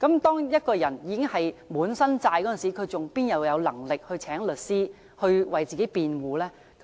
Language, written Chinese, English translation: Cantonese, 當一個人背負滿身債務時，怎會有能力聘請律師為自己辯護？, When a person is heavily in debt how can he hire a lawyer for representation?